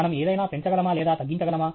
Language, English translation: Telugu, Can we increase or decrease something